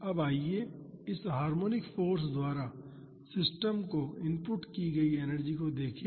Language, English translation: Hindi, Now, let us look at the energy inputted to the system by this harmonic force